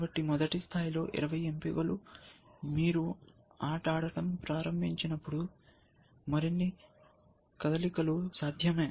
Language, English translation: Telugu, So, 20 at the first level and as you start playing the game, the game board opens up, and more moves are possible